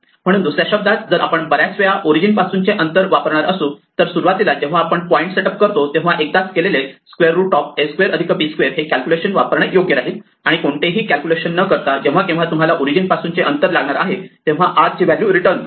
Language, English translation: Marathi, So, in other words if we are going to use o distance very often then it is better to use the calculation square root a square plus b square once at the beginning when we setup the point, and just return the r value without any calculation whenever you want the distance from the origin